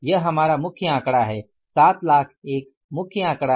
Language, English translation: Hindi, This is our main figure that is the 7 lakh is the main figure